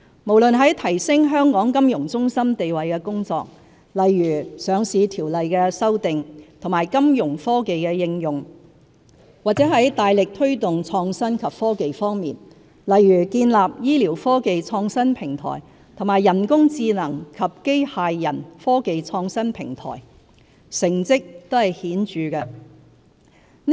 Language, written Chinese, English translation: Cantonese, 無論在提升香港金融中心地位的工作，例如上市條例的修訂和金融科技的應用，或在大力推動創新及科技方面，例如建立醫療科技創新平台和人工智能及機械人科技創新平台，成績都是顯著的。, From enhancing our position as a financial centre which includes revision of listing regulations and application of financial technologies to forging ahead the development of innovation and technology IT such as the establishment of IT clusters on health care technologies artificial intelligence and robotics technologies the outcomes of our initiatives have been remarkable